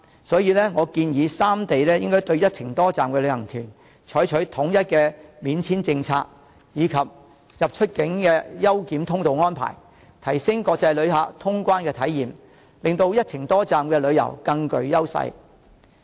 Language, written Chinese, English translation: Cantonese, 所以，我建議三地應該對"一程多站"的旅行團採取統一免簽證政策，以及安排出入境優檢通道，提升國際旅客的通關體驗，令到"一程多站"旅遊更具優勢。, Hence I hold that the three places should universally give visa - free access to visitors joining multi - destination tours and arrange a special immigration channel for them so as to enhance the experience of these international tourists and give an extra edge to multi - destination travel